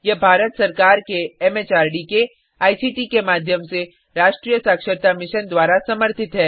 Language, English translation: Hindi, It supported by the National Mission on Education through ICT, MHRD, Government of India